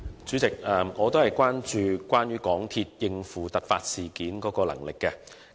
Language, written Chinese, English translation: Cantonese, 主席，我同樣關注到港鐵應付突發事件的能力。, President I am likewise concerned about the ability of MTRCL to handle emergencies